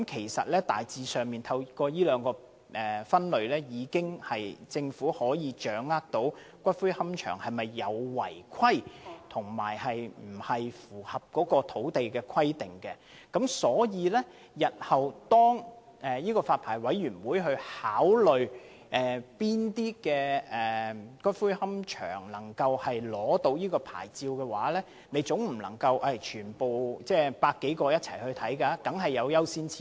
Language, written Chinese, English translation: Cantonese, 事實上，當局透過這兩個類別，已大致掌握個別私營龕場是否有違規情況，或是否符合土地使用規定等，而日後當發牌委員會考慮向哪些龕場發出牌照時，總不可能全部100多個龕場一次過進行檢視，一定要訂出優先次序。, In fact the authorities already have a good grasp of the operation of individual private columbarium through these two categories that is whether there are any contraventions or breach of land requirements and so on . When the Licensing Board considers the applications in future it cannot practically review the cases of all the 100 - odd columbaria in on go